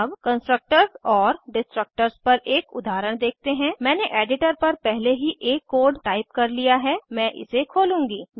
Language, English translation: Hindi, Let us see an example on Constructors and Destructors, I have already typed the code on the editor, I will open it